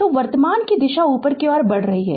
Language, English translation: Hindi, So, as we have taken the direction of the current moving upward